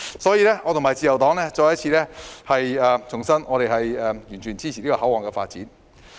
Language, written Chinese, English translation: Cantonese, 所以，我和自由黨重申，我們完全支持這個口岸的發展。, So the Liberal Party and I reiterate that we totally support the development of this control point